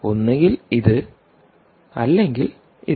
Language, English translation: Malayalam, right, either this or this or both